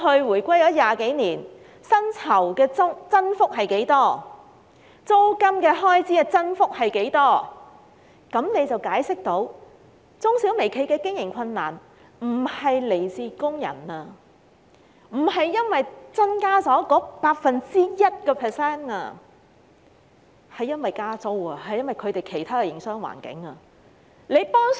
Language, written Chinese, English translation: Cantonese, 回歸20多年來，大家回顧過去薪酬及租金開支的增幅分別是多少，便能解釋中小微企的經營困難並非來自增加 1% 的薪酬開支，而是由於加租及其他營商環境的因素。, It has been 20 - odd years after the return of sovereignty if we look back at the increases in salary and rental expenses we will realize that the operational difficulties faced by the micro small and medium enterprises are not caused by the 1 % increase in salary costs but are attributable to rent increases and other factors in the business environment